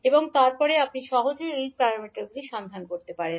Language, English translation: Bengali, And then you can easily find out the h parameters